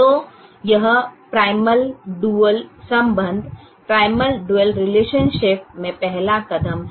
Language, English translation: Hindi, so this is the first step in primal dual relationship